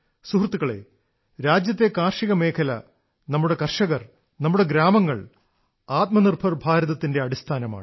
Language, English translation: Malayalam, Friends, the agricultural sector of the country, our farmers, our villages are the very basis of Atmanirbhar Bharat, a self reliant India